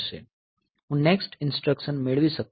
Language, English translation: Gujarati, So, I cannot fetch the next instruction